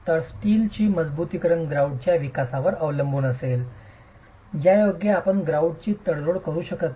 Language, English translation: Marathi, So, the steel reinforcement is going to be depending on development on the grout